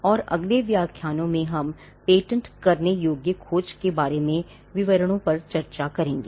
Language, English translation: Hindi, And the following lectures we will discuss the details about patentability search